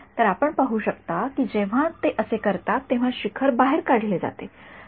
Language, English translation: Marathi, So, you can see that when they do this the peaks are extracted out